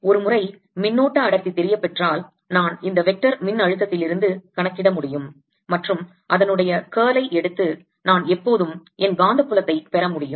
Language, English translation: Tamil, once i know the current density, i can calculate from this the vector potential and taking its curl, i can always get my magnetic field